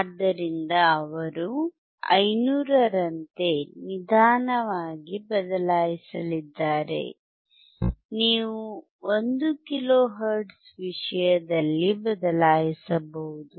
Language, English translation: Kannada, So, he is going to change slowly in terms of 500 can you change in terms of 1 kilohertz